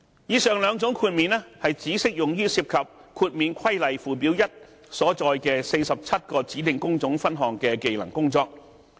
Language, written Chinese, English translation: Cantonese, 以上兩種豁免只適用於涉及《豁免規例》附表1所載的47個指定工種分項的技能工作。, These two exemptions are limited to the ones involving the skills of the 47 designated trades set out in Schedule 1 of the Exemption Regulation